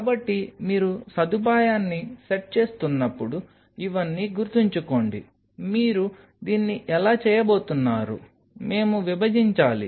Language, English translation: Telugu, So, keep all these in mind when you are setting of the facility, how you are going to do it shall we split